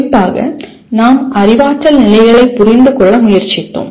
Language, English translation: Tamil, And particularly we tried to understand the cognitive levels